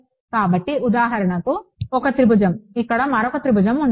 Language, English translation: Telugu, So, this is 1 triangle for example, there will be another triangle over here